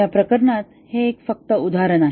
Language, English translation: Marathi, This is just one example in this case